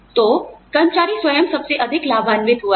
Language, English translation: Hindi, So, the employee himself or herself, has benefited the most